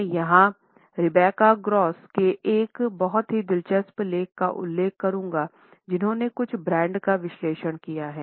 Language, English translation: Hindi, I would refer here to a very interesting article by Rebecca Gross who has analyzed certain brand colors to prove this idea